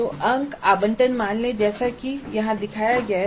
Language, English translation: Hindi, So the marks allocation let us assume is as shown here